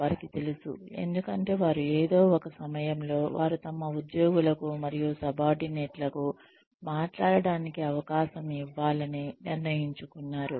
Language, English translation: Telugu, They know, because, they have given at some point, they have decided to give their employees and subordinates, a chance to talk